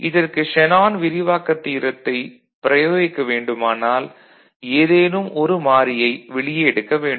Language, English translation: Tamil, And if you need to want to apply Shanon’s expansion theorem, one variable we want to take out